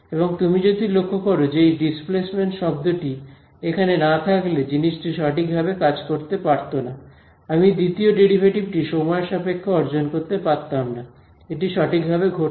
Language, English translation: Bengali, And if you notice if this term over here if this displacement term were not here this thing would not have worked right, I would not have been able to get the second derivative with respect to time, this guy would not have happened right